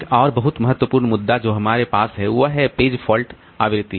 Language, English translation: Hindi, Another very important issue that we have is the page fault frequency